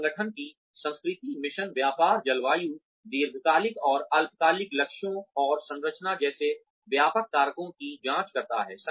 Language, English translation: Hindi, Which examines, broad factors such as the organization's culture, mission, business, climate, long and short term goals and structure